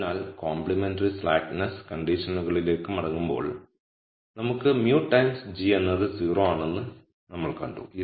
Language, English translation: Malayalam, So, going back to the complementary slackness condition we saw that we will have mu times g is 0